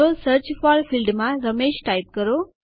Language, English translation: Gujarati, So type Ramesh in the Search For field